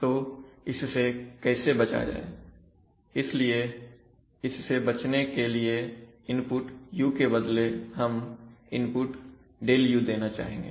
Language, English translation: Hindi, So how do you avoid that, so for avoiding that, sorry, for avoiding that, we rather than giving the input u we would like to give the input ΔU